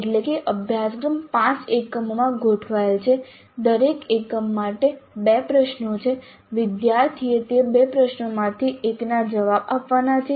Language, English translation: Gujarati, For each unit there are two questions the student has to answer one of those two questions